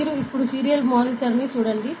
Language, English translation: Telugu, Now, you just look at the serial monitor now